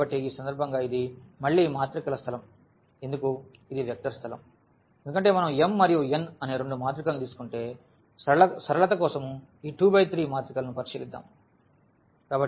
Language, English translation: Telugu, So, why in this case it is a matrix space again this is a vector space because if we take two matrices of what are m and n